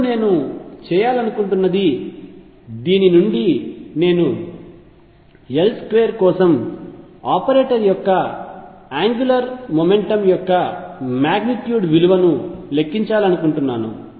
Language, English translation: Telugu, Now, what I want to do is from this I want to calculate the operator for operator for L square the magnitude of the angular momentum